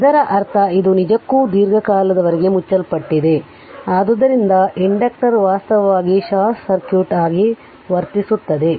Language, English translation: Kannada, That means, this one actually this one it was it was closed for a long time, so inductor actually behaving as a short circuit